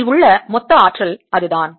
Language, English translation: Tamil, that is the total energy in this